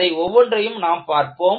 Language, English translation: Tamil, We would see each one of these modes